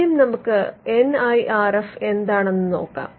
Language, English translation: Malayalam, So, let us look at the NIRF part first